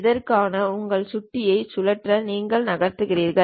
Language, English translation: Tamil, For that you just move rotate your mouse